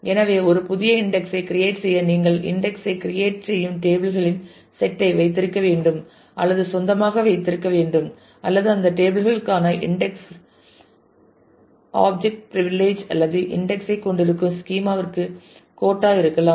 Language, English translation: Tamil, So, to create a new index either you have to own or own that that those set of tables on which you are creating the index and or have the index object privilege for those tables or the schema that contains the index might also have a quota